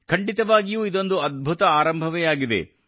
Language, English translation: Kannada, This is certainly a great start